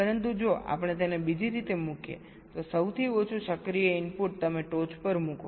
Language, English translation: Gujarati, but if we put it the other way round, the least active input you put at the top